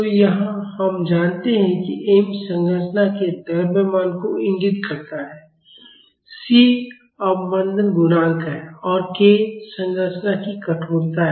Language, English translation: Hindi, So, here we know that m indicates the mass of the structure, c is the damping coefficient and k is the stiffness of the structure